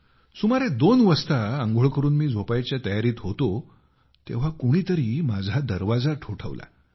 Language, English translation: Marathi, It was around 2, when I, after having showered and freshened up was preparing to sleep, when I heard a knock on the door